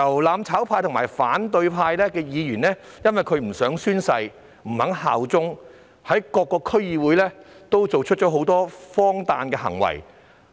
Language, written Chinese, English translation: Cantonese, "攬炒派"及反對派的議員不欲宣誓、不肯效忠，更在各個區議會作出很多荒誕的行為。, DC members belonging to the mutual destruction camp and the opposition camp are reluctant to take the oath or bear allegiance